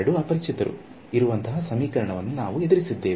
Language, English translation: Kannada, So, we have encountered such equations where there are two unknowns